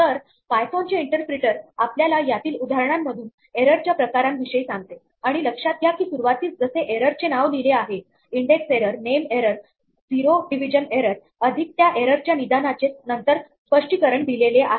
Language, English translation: Marathi, So, these are three examples of the types of error that the python interpreter tells us and notice that there is an error name at the beginning index error name error zero division error plus a diagnostic explanation after that